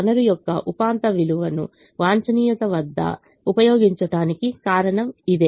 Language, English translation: Telugu, that is the reason we use marginal value of the resource at the optimum